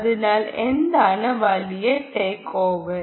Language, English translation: Malayalam, so what is the big takeaway